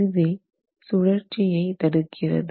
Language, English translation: Tamil, That is what is blocking rotations